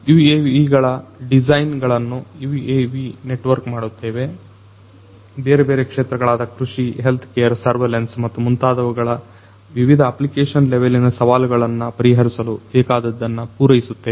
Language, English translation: Kannada, We do designs of UAVs, network UAVs, we also cater to the requirements solving different application level challenges in different sectors, agriculture, healthcare, surveillance and so on